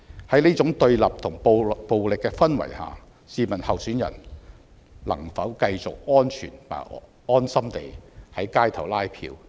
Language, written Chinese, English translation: Cantonese, 在這種對立和暴力的氛圍下，試問候選人能否繼續安全和安心地在街頭拉票？, Can candidates feel safe amidst such a divided and violent social atmosphere to canvass votes on the streets?